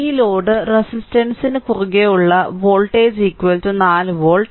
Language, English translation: Malayalam, So, voltage across this load resistance is equal to 4 volt